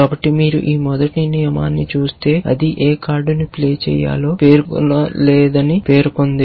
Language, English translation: Telugu, So, if you look at this first rule for example, it says that to play any card it does not specify which card to play